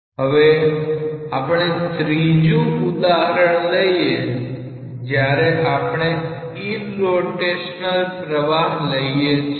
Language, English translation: Gujarati, Now, we will take a third example when we consider irrotational flow